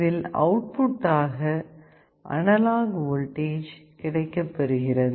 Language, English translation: Tamil, And in the output, we generate an analog voltage